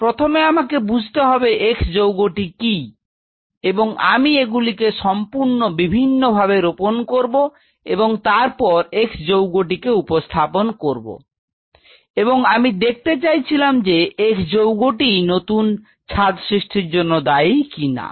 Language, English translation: Bengali, I have to fist a of all figure out what is this x compound, and I grove these in absolute isolation and then in this I introduce that x, and I wanted to see does the x develop that additional roof or not